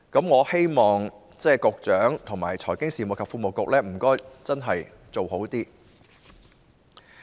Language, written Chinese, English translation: Cantonese, 我希望局長和財經事務及庫務局真的能作出改善。, I hope the Secretary and the Financial Services and the Treasury Bureau can really make improvements